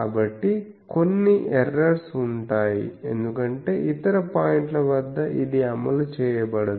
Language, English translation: Telugu, So, there will be some errors because at other points it is not enforced